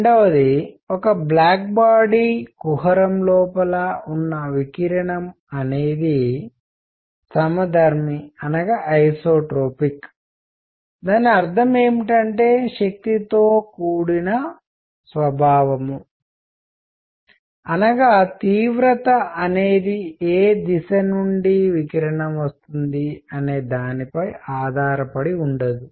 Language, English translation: Telugu, Number 2; the radiation inside a black body cavity is isotropic what; that means, is nature including strength; that means, intensity does not depend on which direction radiation is coming from